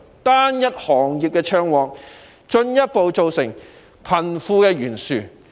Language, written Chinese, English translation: Cantonese, 單一行業暢旺，進一步加劇貧富懸殊。, The prosperity of a single industry has widened the wealth gap further